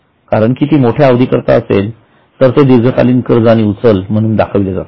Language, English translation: Marathi, Now, since this is for a longer period, we are showing it as a long term loans and advance